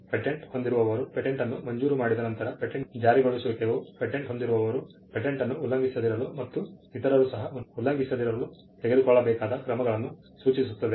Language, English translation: Kannada, Once the patent is granted, then the enforcement of a patent which refers to steps taken by the patent holder to ensure that the patent is not violated, the right in the patent is not violated by others which is what we refer to as infringement